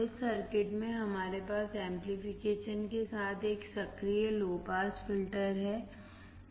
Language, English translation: Hindi, In this circuit we have an active low pass filter with amplification